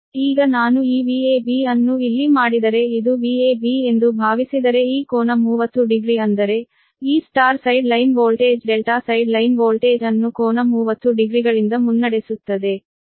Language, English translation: Kannada, that means that means this, this, this, this star side line voltage, star side line voltage leading the delta side line voltage by angle thirty degree